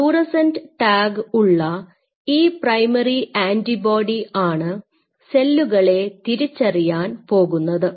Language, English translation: Malayalam, I mean if this is a primary antibody I have to have a fluorescent tag which will distinguish these cells